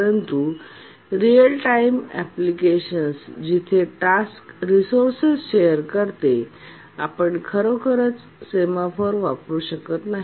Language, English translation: Marathi, But in a real timetime application when the task share resources, we can't really use a semaphore